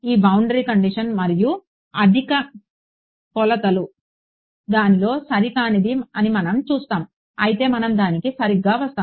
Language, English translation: Telugu, We will see that this boundary condition and higher dimensions has an inaccuracy in it ok, but we will come to that alright